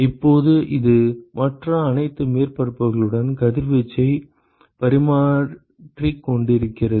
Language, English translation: Tamil, Now this is exchanging radiation with all other surfaces